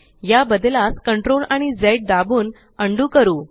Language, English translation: Marathi, Lets undo this by pressing CTRL and Z